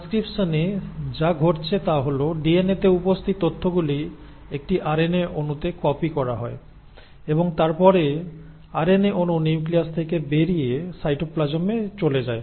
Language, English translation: Bengali, So in transcription, what is happening is that the information which is present in the DNA is read and copied onto an RNA molecule, and then the RNA molecule moves out of the nucleus into the cytoplasm